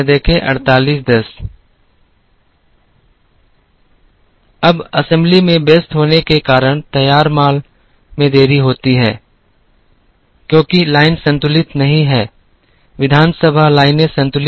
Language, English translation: Hindi, Now, delay in finished goods come because of assembly being busy, because the line is not balanced, assembly lines are not balanced